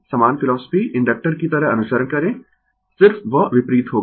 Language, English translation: Hindi, Same philosophy you follow the way inductor just it will be opposite right